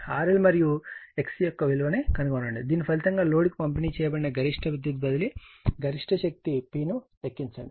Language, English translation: Telugu, Determine the value of the R L and X C, which result in maximum power transfer you have to calculate the maximum power P delivered to the load